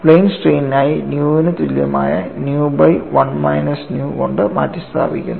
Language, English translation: Malayalam, And I have these expressions for plane stress for plane strain replace nu equal to nu by 1 minus nu